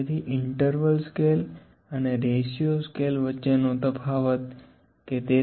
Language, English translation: Gujarati, So, the difference between the interval and ratio scale is that